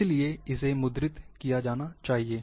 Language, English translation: Hindi, Then it has to be printed